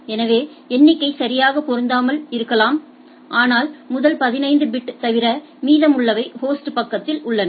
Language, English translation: Tamil, So, may not be the figure fitting properly, but first 15 bit and the rest is on the host side